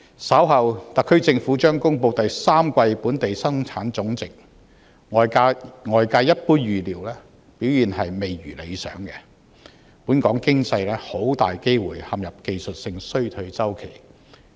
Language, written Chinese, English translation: Cantonese, 稍後，特區政府將公布第三季本地生產總值，外界一般預料表現未如理想，本港經濟很大機會陷入技術性衰退。, Later in the week the Government will announce the Gross Domestic Product GDP for the third quarter of this year and it is generally expected to be less than desirable and the economy of Hong Kong will highly likely slip into a technical recession